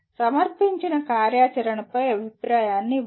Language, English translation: Telugu, Give feedback on a presented activity